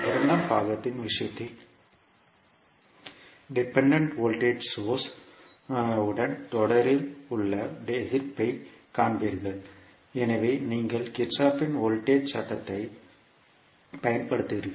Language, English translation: Tamil, In case of second part you will see that the resistances in series with dependent voltage source so you will use Kirchhoff’s voltage law